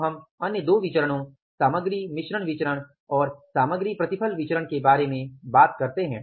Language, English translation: Hindi, Now we will talk about the other two variances, material mixed variance and the material yield variance, right